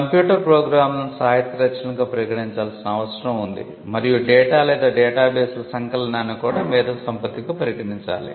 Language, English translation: Telugu, It required that computer programs should be treated as literary works and compilation of data or databases should also be treated as intellectual creations